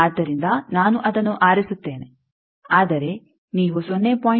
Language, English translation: Kannada, So, I will choose that, but if you say that 0